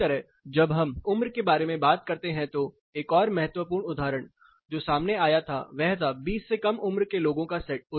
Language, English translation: Hindi, Similarly, when we talk about age another critical example, which came up was the younger set of people less than 20